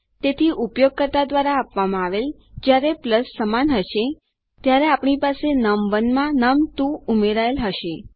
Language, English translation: Gujarati, So when this equals to plus supplied by the user, we have num1 added to num2